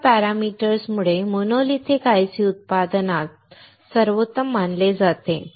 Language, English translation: Marathi, So, because of these parameters, monolithic ICs are considered as best of manufacturing